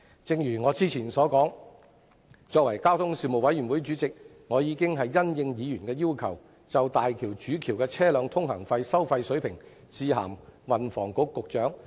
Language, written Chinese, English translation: Cantonese, 正如我之前所說，身為交通事務委員會的主席，我已經因應議員的要求，就大橋主橋的車輛通行費收費水平致函運房局局長。, As I mentioned earlier in response to Members requests I have written to the Secretary for Transport and Housing on the toll levels of the HZMB Main Bridge in my capacity as Chairman of the Panel on Transport